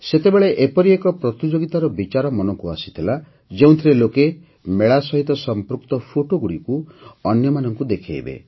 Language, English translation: Odia, Then the idea of a competition also came to mind in which people would share photos related to fairs